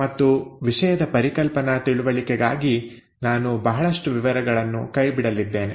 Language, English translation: Kannada, And for the sake of conceptual understanding of the topic I am going to skip a lot of details